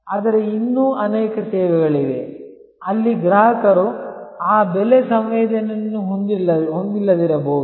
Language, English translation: Kannada, But, there are many other services, where actually customer may not have that price sensitivity